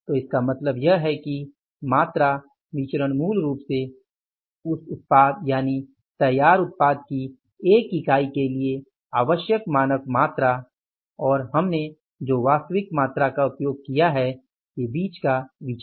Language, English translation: Hindi, So, for this means the quantity variance is basically the variance between the standard quantity required for the one unit of product that is the finished product and the actual quantity we have used